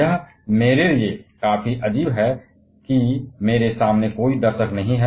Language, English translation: Hindi, It is quite a bit odd for me that there is no audience in front of me